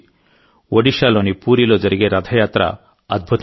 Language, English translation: Telugu, The Rath Yatra in Puri, Odisha is a wonder in itself